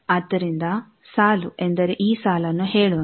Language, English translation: Kannada, So, row means let us say this row